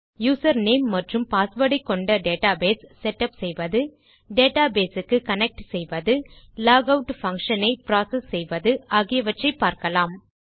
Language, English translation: Tamil, Ill show you how to set up a database with your user name and password, how to connect to a database and also to process a logout function